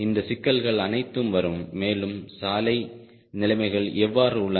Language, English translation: Tamil, all these issues will come right and how is the road conditions